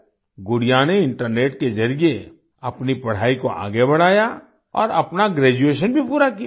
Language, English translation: Hindi, Gudiya carried on her studies through the internet, and also completed her graduation